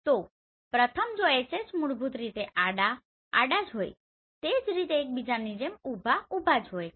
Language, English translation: Gujarati, So first one if you see the HH basically horizontal, horizontal so they are like each other vertical, vertical